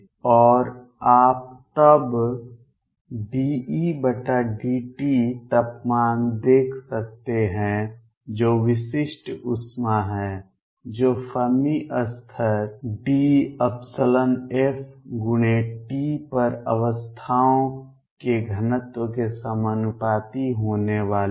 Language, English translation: Hindi, And you can see then d E by d t temperature which is specific heat is going to be proportional to density of states at the Fermi level time’s t